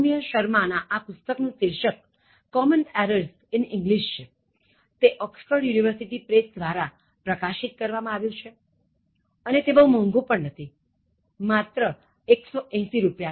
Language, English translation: Gujarati, Saumya Sharma, the title is Common Errors in English published by, Oxford University Press and it doesn’t cost much, it is 180 rupees only